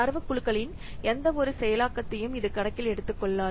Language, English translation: Tamil, It doesn't take into account any processing of the data groups